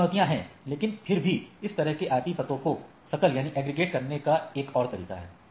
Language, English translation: Hindi, So, there are challenges, but nevertheless there is a there is a way to aggregate this sort of IP addresses